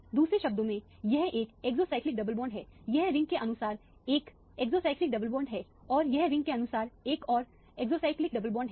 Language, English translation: Hindi, In other words this is one exocyclic double bond, this is 1 exocyclic double bond as per as this ring is concerned and this is again another exocyclic double bond as per as this ring is concerned